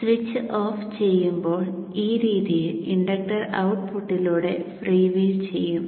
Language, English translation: Malayalam, When the switch is off, the inductor free wheels through the output in this fashion